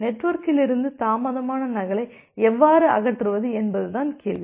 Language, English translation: Tamil, Now the question comes that how we will be able to eliminate the delayed duplicate from the network